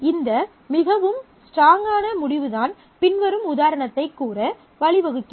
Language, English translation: Tamil, So, that is a very strong result and that is what leads to say the following example